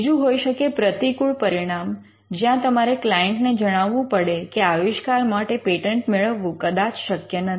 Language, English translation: Gujarati, Or it could be a negative outcome, where you communicate to the client, that the invention may not be patentable